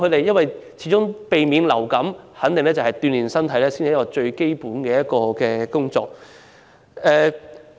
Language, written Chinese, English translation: Cantonese, 要有效避免染上流感，鍛練身體才是最基本的方法。, Building up a strong physique is the most fundamental way to effectively prevent influenza